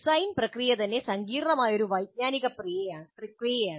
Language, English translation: Malayalam, The design process itself is a complex cognitive process